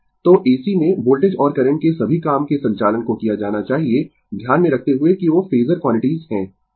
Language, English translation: Hindi, So, in AC, right work all operation of voltage and current should be done keeping in mind that those are phasor quantities